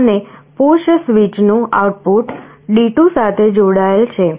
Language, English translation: Gujarati, And the output of the push switch is connected to D2